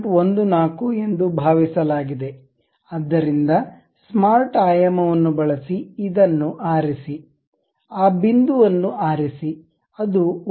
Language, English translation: Kannada, 14 the tool bit, so use smart dimension pick this one, pick that point, make sure that that will be 1